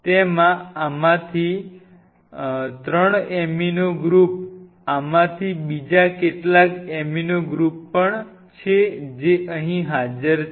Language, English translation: Gujarati, It has 3 of these amino groups which are present here also few of these amino groups present here also